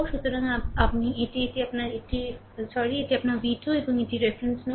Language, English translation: Bengali, So, i this is your ah this is your ah sorry ah this is your v 2 ah this is your v 2 and this is reference node